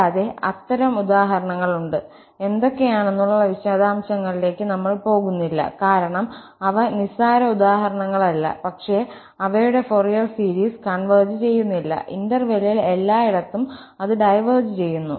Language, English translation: Malayalam, And, there are such examples, we are not going all into the details what kind of, because they are not trivial examples, but their Fourier series does not converge at all, it diverges everywhere in the interval